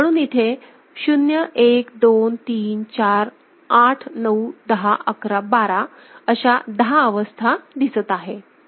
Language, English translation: Marathi, So, these are unique ten states 0, 1, 2, 3, 4, 8, 9, 10, 11, 12 unique 10 states right